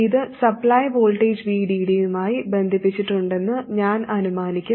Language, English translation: Malayalam, I'll assume that it is connected to the supply voltage VDD